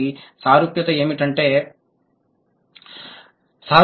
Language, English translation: Telugu, And what is the similarity